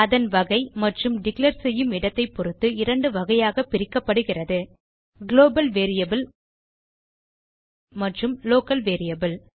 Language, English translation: Tamil, Depending on its type and place of declaration it is divided into two categories: Global Variable amp Local Variable